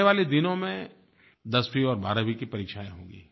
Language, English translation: Hindi, Final Examinations for grade 10th and 12th will be conducted in the coming days